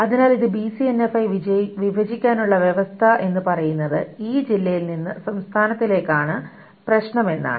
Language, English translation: Malayalam, So to break it down into BCNF, the rules says that the problem is with this district to state